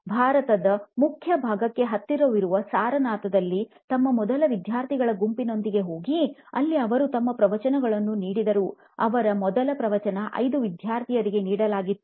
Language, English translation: Kannada, He went to his first set of students in Sarnath which is close to the heart of India and there he gave his discourse, first ever discourse to 5 of his students